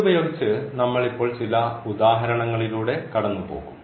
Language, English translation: Malayalam, So, with this we will now go through some of the examples